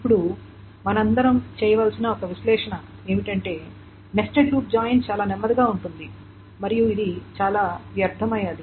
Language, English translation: Telugu, Now one analysis that all of us should be doing is that the nested loop join is extremely slow and it's very much wasteful